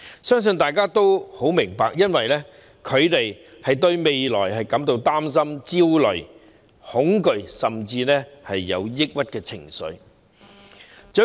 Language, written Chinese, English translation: Cantonese, 相信大家也很明白這些症狀出現的原因是他們對未來感到擔憂、焦慮、恐懼，甚至有抑鬱的情緒。, I believe Honourable colleagues will all understand that such symptoms appear because they are worried anxious and frightened about the future and even have depressive emotions